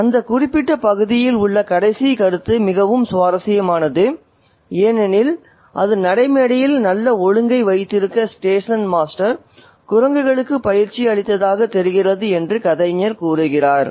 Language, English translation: Tamil, So, the comment, the last comment in that particular extract is very interesting because it's the narrator says that it seemed as though the station master had trained the monkeys to keep good order on the platform